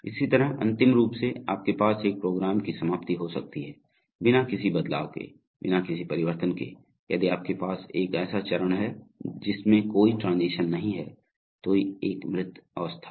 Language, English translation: Hindi, Similarly last you may have termination of a program, so step without a following, without a following transition, if you have a step out of which there is no transition there is a dead state